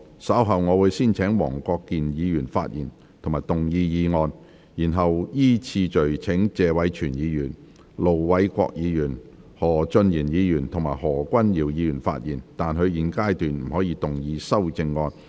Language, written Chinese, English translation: Cantonese, 稍後我會先請黃國健議員發言及動議議案，然後依次序請謝偉銓議員、盧偉國議員、何俊賢議員及何君堯議員發言，但他們在現階段不可動議修正案。, Later I will first call upon Mr WONG Kwok - kin to speak and move the motion . Then I will call upon Mr Tony TSE Ir Dr LO Wai - kwok Mr Steven HO and Dr Junius HO to speak in sequence but they may not move their amendments at this stage